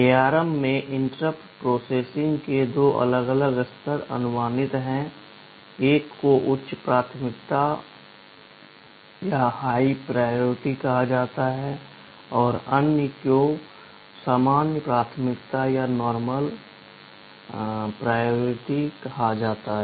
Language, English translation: Hindi, In ARM two different levels of interrupt processing are permissible or allowed, one is called high priority or other is called normal priority